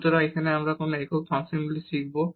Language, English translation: Bengali, So, what are the homogeneous functions we will learn now